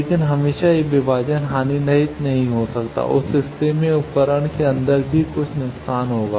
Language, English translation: Hindi, But always this division may not be lossless in that case there will be some loss inside the device also